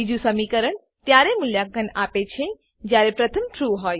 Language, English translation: Gujarati, Second expression is evaluated only if the first is true